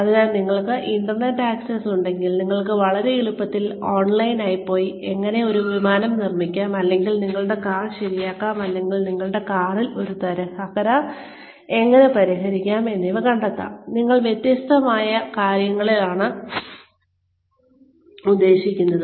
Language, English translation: Malayalam, So, if you have access to the internet, you can very easily go online, and find out, how to say, build an Airplane, or fix your car, or fix a dent in your car, I mean different things